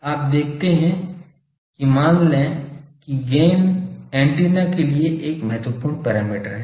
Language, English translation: Hindi, You see that suppose gain is an important parameter for antenna